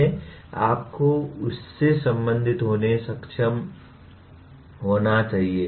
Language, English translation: Hindi, You should be able to relate to that